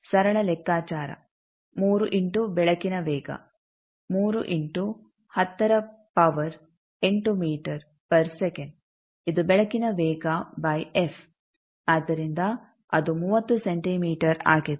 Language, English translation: Kannada, Simple calculation the 3 into the speed up light, 3 into 10 to the power 8 meter per second this are speed up light by f, so that is 30 centimeter